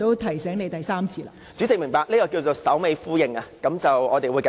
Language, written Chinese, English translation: Cantonese, 代理主席，明白，這叫作首尾呼應，我們會繼續。, Deputy President I see . This is what we call consistency . Let us move on